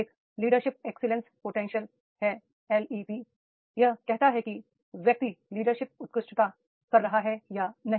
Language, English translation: Hindi, One is leadership excellence potential, LEP, that is the whether the person is having the leadership excellence or not